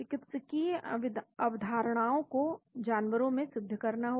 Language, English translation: Hindi, Prove therapeutic concepts in animals